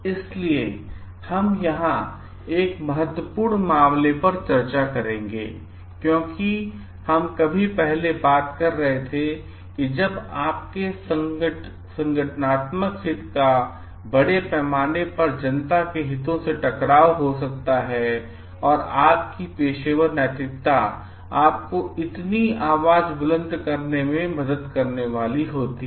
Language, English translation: Hindi, So, we will discuss here one important case of because we were like talking of like when your organizational interest may come into conflict with the interest of the public at large and how is your professional ethics which is going to help you to like raise your voice